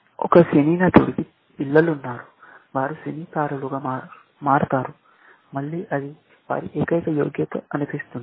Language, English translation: Telugu, A film star has children, who become film stars, again, that seems be their only merit